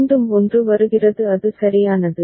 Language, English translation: Tamil, again 1 comes it is c right